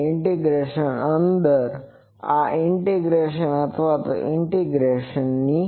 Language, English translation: Gujarati, And this is under an integration or this is a integrand to an integration